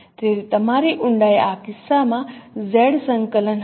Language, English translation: Gujarati, So your depth will be the Z coordinate in this case